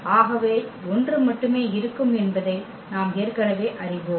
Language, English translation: Tamil, So, we know already that there would be only one